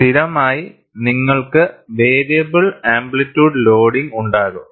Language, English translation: Malayalam, So, invariably, you will have variable amplitude loading